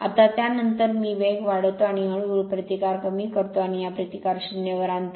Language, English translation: Marathi, Now after that I when speed is pick up slowly and slowly cut the resistance and bring this resistance to 0